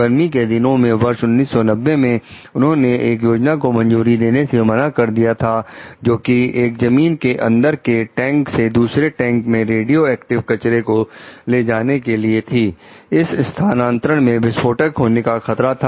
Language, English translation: Hindi, In the summer of 1990, she refused to approve a plan that would have pumped radioactive waste from one underground tank to another, a transfer that risked explosion